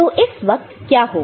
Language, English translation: Hindi, So, at that time what is happening